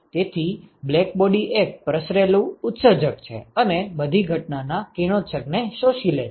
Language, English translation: Gujarati, So, blackbody is a diffuse emitter and absorbs all incident radiation